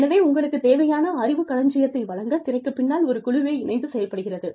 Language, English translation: Tamil, So, a whole lot of people are working together, behind the scenes, to give you this, basket of knowledge